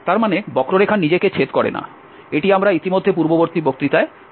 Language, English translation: Bengali, That means the curve does not intersect itself, this we have already discussed in the last lecture